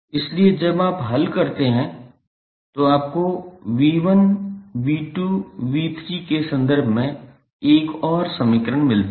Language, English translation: Hindi, So, when you solve you get another equation in terms of V 1, V 2, V 3